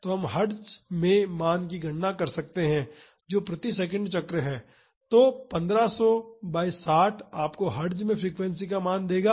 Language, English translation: Hindi, So, we can calculate the value in Hertz that is cycles per second; so, 1500 by 60 will give you the value of the frequency in Hertz